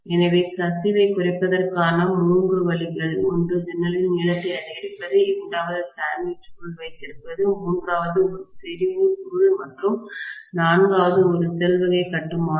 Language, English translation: Tamil, So, the three ways of reducing the leakage is one is to increase the length of the window, the second is to have sandwiched coil, the third one is to have concentric coil and the fourth one is shell type construction